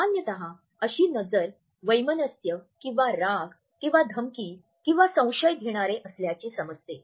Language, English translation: Marathi, Normally it is perceived to be hostile or angry or controlling or threatening or even doubting